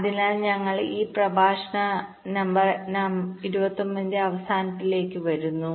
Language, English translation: Malayalam, so with this we come to the end of ah, this lecture number twenty nine